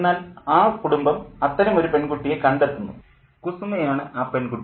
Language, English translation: Malayalam, But this family does find such a girl and she is Kusuma